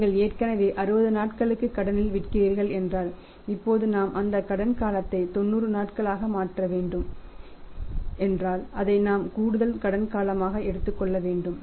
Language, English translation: Tamil, If you are already selling on the credit maybe for 60 days and now we have to make that credit period 90 days then also we will have to take that take that as additional credit period